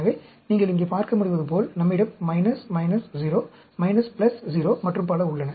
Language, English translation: Tamil, So, as you can see here, we have a minus, minus 0, minus plus 0 and so on